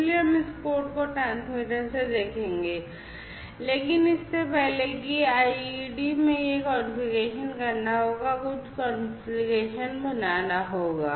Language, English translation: Hindi, So, we will look at this code from the transmitter, but before that in the IDE this configuration will have to be made, few configurations will have to be made